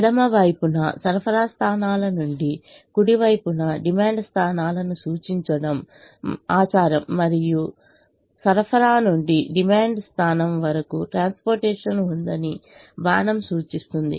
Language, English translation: Telugu, its customary to represent the supply points on the left hand side and the demand points on the right hand side, and an arrow indicates that there is transportation from a supply point to a demand point